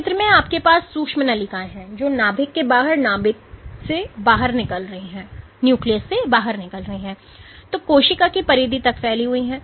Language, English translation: Hindi, So, in this picture you have the microtubules which are spanning from the nucleus outside the nucleus and spanning till the periphery of the cell